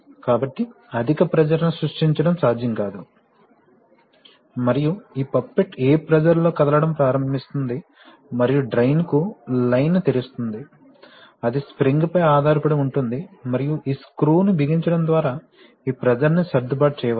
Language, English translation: Telugu, And at what pressure this poppet will start moving and will open the line to the drain, that depends on the spring and this, and this pressure can be adjusted by tightening this screw